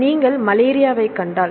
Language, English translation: Tamil, So, if you see malaria